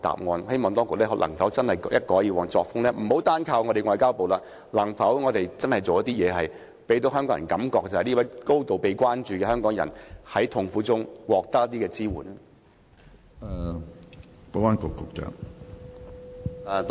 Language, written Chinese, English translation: Cantonese, 我希望當局一改以往的作風，可否不要單靠外交部，而是做些實事，讓市民覺得這名被高度關注的香港人在痛苦中也能得到一些支援？, I hope the authorities can change their former practices . Instead of relying solely on the State Ministry of Foreign Affairs can the authorities do some real work so that the public will think that this Hongkonger who has drawn great attention can get some support in times of suffering?